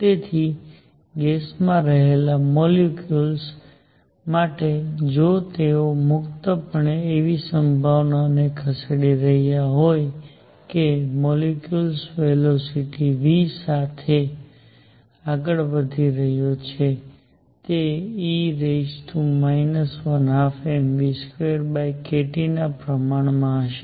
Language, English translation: Gujarati, So, for molecules in a gas if they are freely moving the probability that that a molecule is moving with velocity v is going to be proportional to e raised to minus energy one half m v square over k T